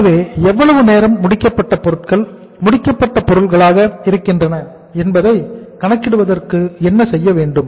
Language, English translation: Tamil, So for calculating that the actual for how much time finished goods remain as finished goods